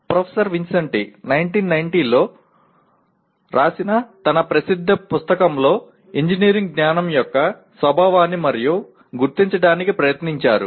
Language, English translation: Telugu, Professor Vincenti attempted to identify the nature of engineering knowledge in his famous book written back in 1990